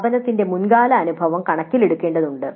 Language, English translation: Malayalam, The past experience of the institute needs to be taken into account